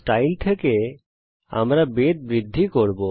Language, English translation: Bengali, From style we increase the thickness